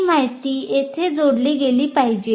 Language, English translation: Marathi, So that information should be appended here